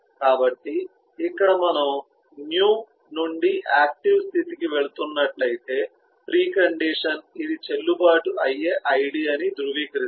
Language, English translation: Telugu, so here if we see if it is eh, if we are moving from a new to active state, then the precondition is: is it verified that eh, this is a, this is a valid eh id